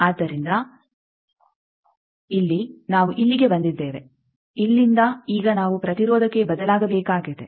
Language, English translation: Kannada, So, here we have come up to here, from here now we need to change to impedance